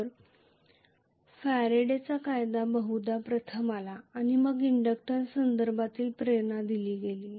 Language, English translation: Marathi, So Faraday's law came first probably and then the inductance was introduced that is how it was